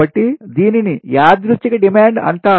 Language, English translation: Telugu, right, so this is called coincident demand